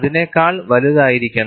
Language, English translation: Malayalam, It should be greater than that